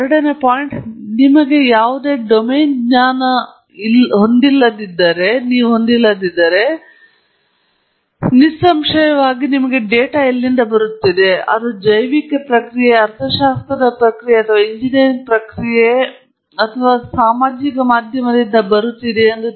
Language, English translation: Kannada, And the second point is if you have any domain knowledge, and that’s very, very important; obviously, you should know where the data is coming from, whether it is coming from a biological process, an econometric process or an engineering process or some social media process and so on… or a chemical process and so on